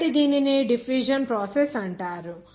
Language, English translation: Telugu, So this is called the diffusion process